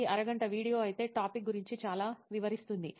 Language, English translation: Telugu, It is an half an hour video but explains a lot about the topic